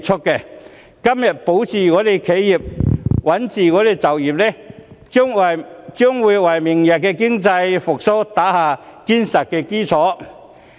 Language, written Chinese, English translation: Cantonese, 如果今天能保企業、穩就業，將會為明日經濟復蘇打下堅實的基礎。, If we can protect enterprises and safeguard jobs today it will lay a solid foundation for economic recovery tomorrow